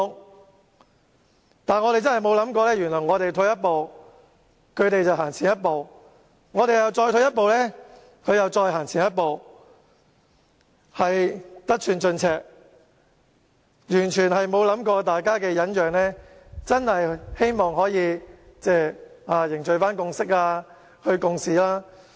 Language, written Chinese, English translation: Cantonese, 然而，我們真的沒有想過，原來我們退一步，他們便走前一步；我們再退一步，他們會再走前一步，得寸進尺，完全沒有考慮過大家的忍讓，是希望可以凝聚共識、一起共事。, However it had never occurred to us that every time we took a step backward they would just push forward . If we gave them an inch they would take a mile with no consideration for our tolerance in the hope of reaching a consensus and working together